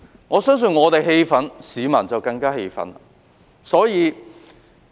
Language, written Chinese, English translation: Cantonese, 我相信我們氣憤，市民更加氣憤。, I believe while we feel frustrated members of the public are even more frustrated